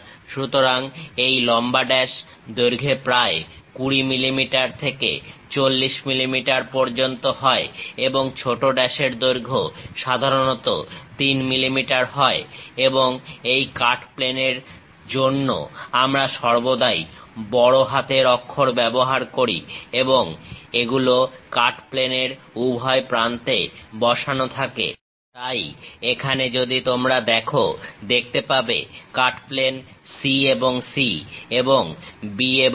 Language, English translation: Bengali, Usually this long dash will have around 20 mm to 40 mm in length and short dash usually have a length of 3 mm; and for this cut plane, we always use capital letters and these are placed at each end of the cut plane; so, here if you are seeing cut plane C and C and B and B